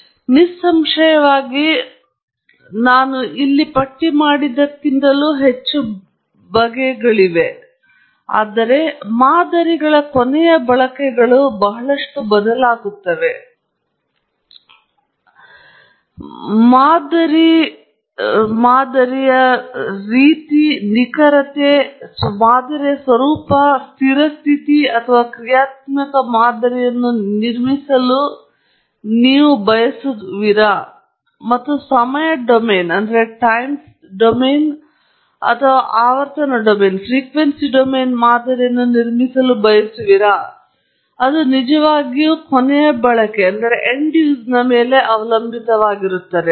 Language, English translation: Kannada, So, obviously, the list is a bit more than what I have given here, but what should be remembered is the end uses of models vary a lot, and therefore, the type of model, the kind of accuracy, the nature of the model whether you want to build a steady state or dynamic model or you want to build a time domain or a frequency domain model and so on, really it depends on the end use